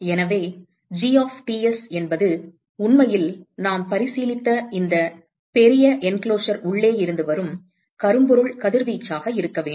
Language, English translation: Tamil, So, therefore, G of Ts should actually be the blackbody radiation which comes from the inside of this large enclosure that we have considered